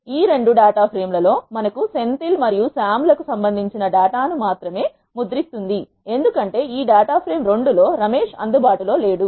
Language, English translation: Telugu, In this 2 data frames we have Senthil and Sam present, it will print only the data that is corresponding to the Senthil and Sam, because Ramesh is not available in this data frame 2